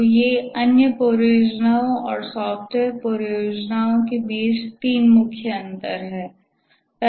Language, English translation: Hindi, So these are the three main differences between other projects and software projects